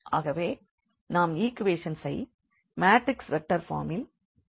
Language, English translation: Tamil, So, we can write down this equation these equations in the form of the matrix vectors